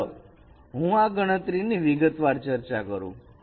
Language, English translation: Gujarati, So let me detailed out this computation